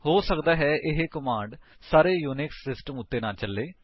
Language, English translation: Punjabi, This command may not work in all Unix systems however